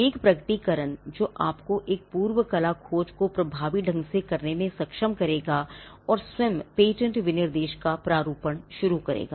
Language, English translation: Hindi, A disclosure that will enable you to do a prior art search effectively, and to start the drafting of the patent specification itself